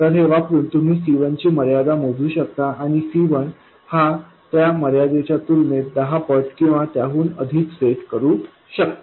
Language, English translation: Marathi, So, from this you can calculate the constraint on C1 and set C1 to be, let's say, 10 times or even more compared to the constraint